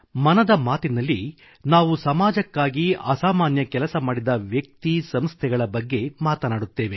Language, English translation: Kannada, My dear countrymen, in "Mann Ki Baat", we talk about those persons and institutions who make extraordinary contribution for the society